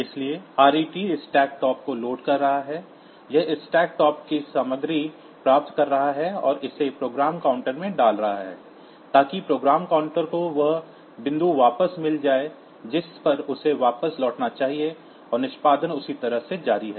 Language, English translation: Hindi, So, ret is loading the stack top, it is getting the content from the stack top and putting it into the program counter, so that the program counter gets back the point to which it should return and execution continues that way